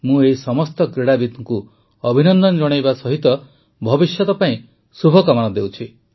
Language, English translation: Odia, I also congratulate all these players and wish them all the best for the future